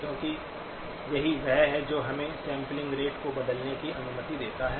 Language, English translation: Hindi, Because this is what allows us to change the sampling rate